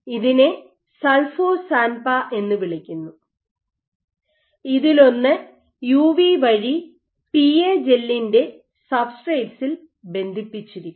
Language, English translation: Malayalam, So, this is called Sulfo SANPAH one of which is linked via UV onto the substrate of the PA gel